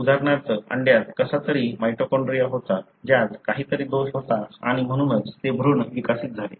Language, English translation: Marathi, For example, the egg somehow had a mitochondria, which had some defect and therefore that embryo developed